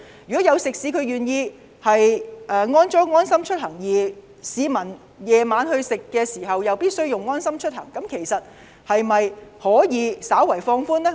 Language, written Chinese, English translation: Cantonese, 如果食肆有安裝"安心出行"，而市民晚上堂食時必須使用這應用程式，當局可否稍為放寬措施呢？, If a restaurant has joined the LeaveHomeSafe programme will the Government slightly relax the ban and allow the public to enjoy dine - in services in the restaurant concerned as long as the customers have used this App to keep their visit records?